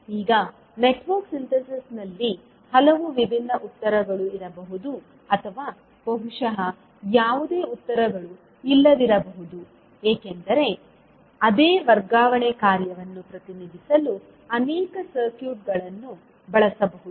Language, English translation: Kannada, Now in Network Synthesis there may be many different answers to or possibly no answers because there may be many circuits that may be used to represent the same transfer function